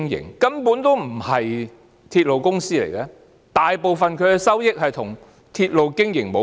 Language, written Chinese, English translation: Cantonese, 港鐵根本不是鐵路公司，大部分的收益與鐵路經營無關。, MTRCL is not a railway company at all as the majority of its revenue is unrelated to railway operation